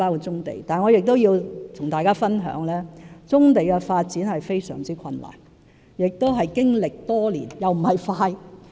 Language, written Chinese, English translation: Cantonese, 然而，我也要和大家分享，棕地發展是非常困難的工作，而且需時經年，並非快捷的方法。, That said I must tell Members that the development of brownfield sites is actually an extremely difficult task that takes years to accomplish . It is by no means a quick solution